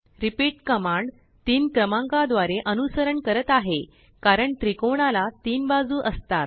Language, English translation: Marathi, repeat command is followed by the number 3, because a triangle has 3 sides